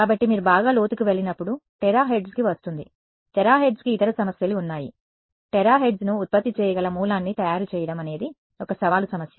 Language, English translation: Telugu, So, as you go to well will come to terahertz, terahertz has other problems it is to make a source that can generate terahertz is itself a challenging problem